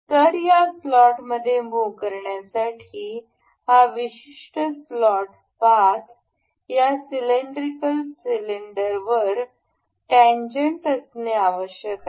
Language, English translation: Marathi, So, in order to make allow this to move into this slot this particular slot path is supposed to be tangent on this circular cylinder